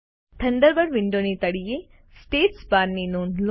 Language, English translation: Gujarati, Note the status bar at the bottom of the Thunderbird window